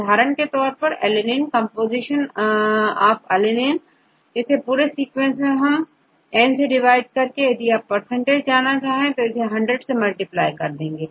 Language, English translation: Hindi, For example, alanine composition of alanine equal to number of alanine, in the whole sequence divided by n, if you want to percentage, you can multiplied by 100